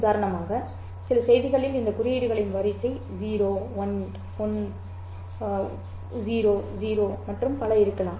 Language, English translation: Tamil, So, for example, in some message, the sequence of symbols might be 0 1, 1, 0, 0 and so on